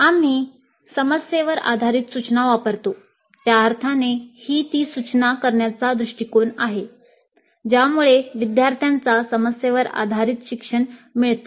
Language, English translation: Marathi, We use problem based instruction in the sense that it is the approach to instruction that results in problem based learning by the students